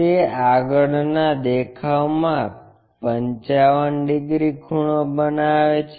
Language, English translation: Gujarati, And, this front view makes 55 degrees